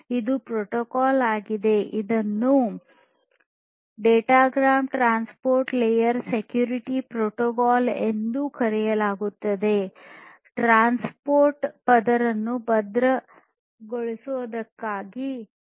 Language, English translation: Kannada, So, this there is a protocol which is called the Datagram Transport Layer Security Protocol; for securing the transport layer